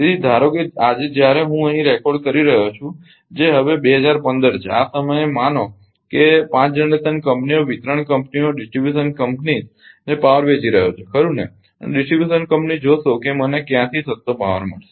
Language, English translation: Gujarati, So, many suppose suppose today when I am recording here that is now 2015 at this time suppose 5 generation companies are selling power to ah distribution companies right and distribution company will see from where I will get the cheapest power